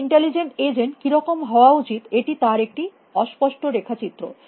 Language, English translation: Bengali, This is a rough diagram of what an intelligent agent should be like